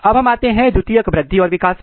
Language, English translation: Hindi, Now, coming to the secondary growth and development